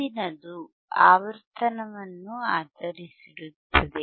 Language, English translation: Kannada, The next would be based on the frequency, right